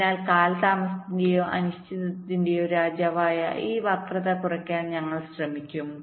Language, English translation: Malayalam, so we will try to minimize this skew, this king of delays or uncertainties in the clock